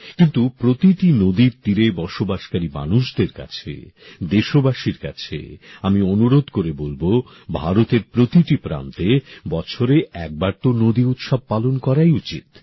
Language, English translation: Bengali, But to all people living near every river; to countrymen I will urge that in India in all corners at least once in a year a river festival must be celebrated